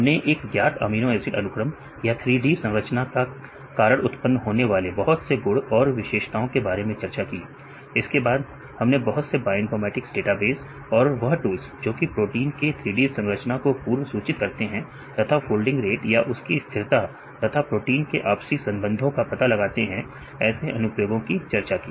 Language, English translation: Hindi, Also we discussed about various properties or features derived from known amino acid sequences or from this 3D structures, and then we discussed about the applications of the different bioinformatics database and tools for predicting the 3D structure of a protein or folding rates or stability as well as protein interactions